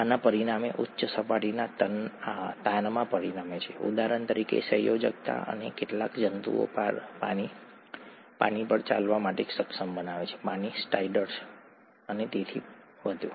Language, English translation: Gujarati, This results in a high surface tension, for example, cohesion and makes even some insects to be able to walk on water, the water strider and so on